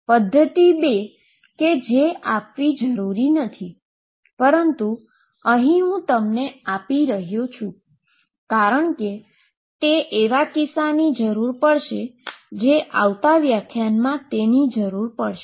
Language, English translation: Gujarati, Method 2 which in this case is not will required, but I am giving it because it will require for cases that will discuss in the coming lectures